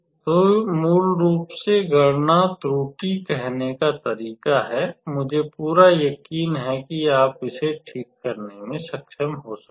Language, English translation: Hindi, So, this is basically how to say calculation error, I know I am pretty sure you can be able to fix that